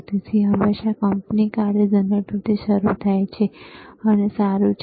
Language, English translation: Gujarati, So, it always starts from the company function generators and that is fine